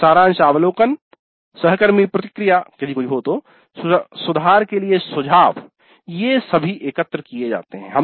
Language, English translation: Hindi, Then summary observations, peer feedback if any, suggestions for improvement, all these are also collected